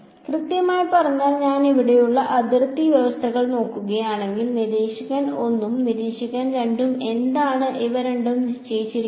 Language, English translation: Malayalam, Exactly so, if I look at the boundary conditions over here, what is these two are being fixed by observer 1 and observer 2